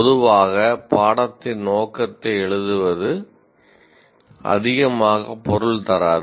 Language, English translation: Tamil, Broadly writing a aim of the course doesn't mean much